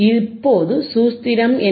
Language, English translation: Tamil, Now what is the formula